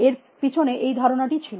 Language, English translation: Bengali, That was the idea behind that